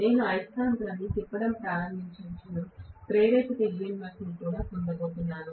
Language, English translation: Telugu, The moment I start rotating the magnet am going to get induced DMF